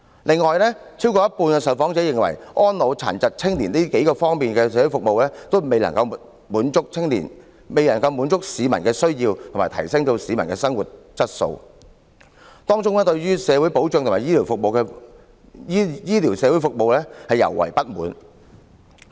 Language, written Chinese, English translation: Cantonese, 此外，有超過一半受訪者認為，安老、殘疾和青年等各方面的社會服務，也未能滿足到市民的需要和提升其生活質素，當中對社會保障和醫療社會服務尤為不滿。, In addition more than half of the respondents believe that social services in the areas for the elderly disabled and youth fail to meet the needs of the public and improve their quality of life . They are particularly dissatisfied with social security and medical social services